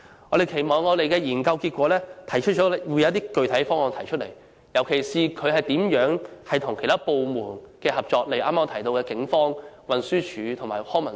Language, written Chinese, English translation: Cantonese, 我們期望研究結果會提出一些具體方案，尤其是如何與其他部門合作，例如我剛才提到的警方、運輸署及康文署。, We hope that the study will come up with some concrete proposals particularly on the cooperation with other departments like the Police TD and LCSD as I mentioned earlier